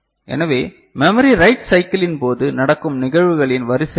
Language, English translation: Tamil, So, how memory write cycle you know; what are the sequence of events taking place